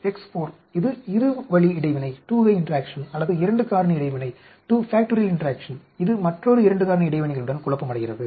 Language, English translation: Tamil, X 4 that is a two way interaction or 2 factor interaction, it is confounded with another 2 factor interactions